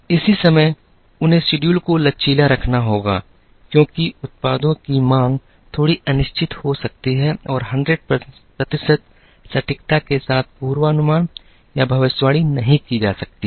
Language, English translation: Hindi, At the same time, they have to keep the schedules flexible, because the demand for the products can be a little uncertain and cannot be forecasted or predicted with 100 percent accuracy